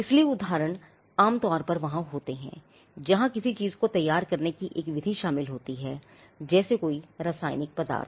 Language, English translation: Hindi, So, illustrations and examples are normally there where there is a method involved in preparing something, say a chemical substance